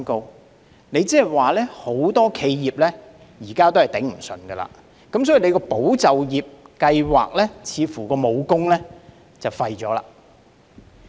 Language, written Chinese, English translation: Cantonese, 換言之，很多企業現時也捱不住，所以"保就業"計劃似乎已被廢武功。, In other words many enterprises are unable to survive so it seems that ESS has failed to serve its function